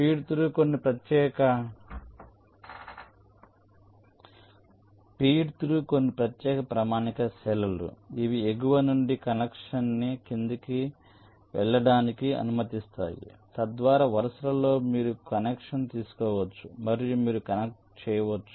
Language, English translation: Telugu, feed through are some special standard cells which allow a connection from top to go to the bottom so that across rows you can take a connection and you can connect